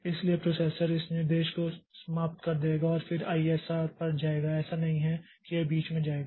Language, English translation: Hindi, So, the processor will finish this instruction and then go to the ISR